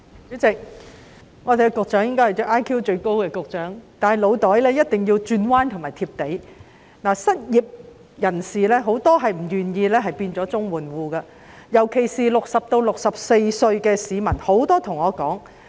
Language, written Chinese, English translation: Cantonese, 主席，局長應是 IQ 最高的局長，但他的腦袋一定要懂得轉彎，他也要"貼地"，因為很多失業人士不願意成為綜援戶，尤其是60歲至64歲的市民。, President the Secretary may have the highest IQ among all Directors of Bureaux but he must have quick thinking and be down to earth because many unemployed people do not want to become CSSA recipients especially those aged between 60 and 64